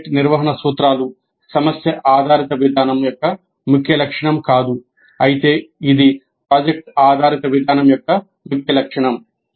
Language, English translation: Telugu, So the project management principles that is not a key feature of problem based approach while it is a key feature of project based approach